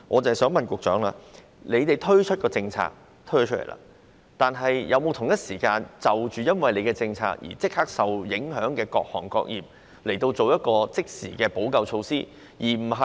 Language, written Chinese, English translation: Cantonese, 政府在推出上述政策後，有否同時因應政策的影響，立刻向受影響的各行各業提供即時的補救措施？, After the introduction of the above mentioned policy has the Government provided immediate remedial measures to various affected trades at the same time?